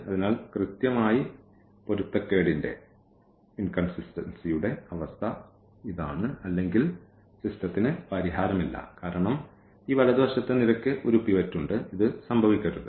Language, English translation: Malayalam, So, which is which is the case exactly of the inconsistency or the system has no solution because this rightmost column has a pivot, this should not happen that